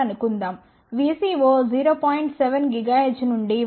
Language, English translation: Telugu, 7 gigahertz to 1